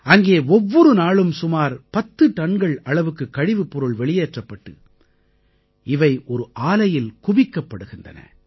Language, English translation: Tamil, Nearly 10tonnes of waste is generated there every day, which is collected in a plant